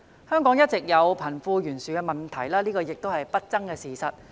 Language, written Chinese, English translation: Cantonese, 香港一直有貧富懸殊問題，這已是一個不爭的事實。, It is an indisputable fact that wealth disparity is a long - standing problem in Hong Kong